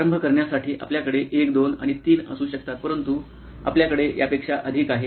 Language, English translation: Marathi, You can have 1, 2 and 3 to begin with but you can have many more than that